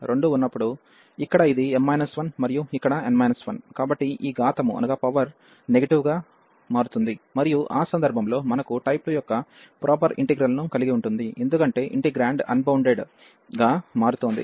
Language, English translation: Telugu, So, here this is m minus 1 and here n minus 1; so these powers will become negative, and in that case we have the improper integral of type 2, because the integrand is becoming unbounded